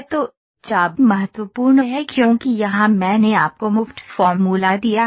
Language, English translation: Hindi, So, arc is important because here I am given you the free form, free formness